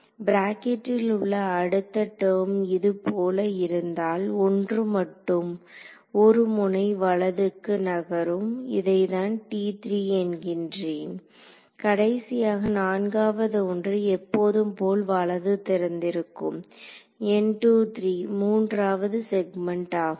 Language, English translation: Tamil, The next term in the brackets again it's going to look just like this one except it will be shifted to by 1 node right this is going to my I am going to call this T 3 and finally, the fourth one over here is going to be my usual N 3 2 that is right opening third segment